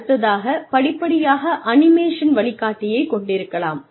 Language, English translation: Tamil, You could have, step by step, animated guide